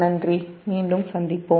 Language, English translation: Tamil, thank you, we will be back